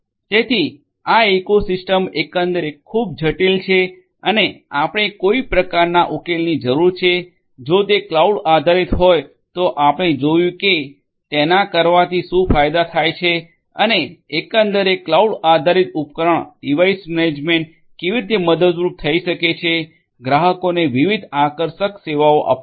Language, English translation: Gujarati, So, the ecosystem overall is highly complex and you need some kind of a solution, the solution if it is cloud based we have seen that what are the advantages of doing it and overall cloud based device management solutions are going to be helpful to offer different attractive services to the clients